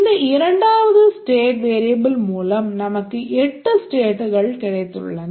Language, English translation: Tamil, So, with these two state variables we have eight states